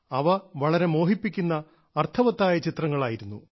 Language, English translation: Malayalam, Pictures were very attractive and very meaningful